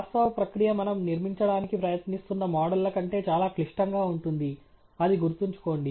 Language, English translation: Telugu, The actual process is far more complicated perhaps then the models that we are trying to fit; remember that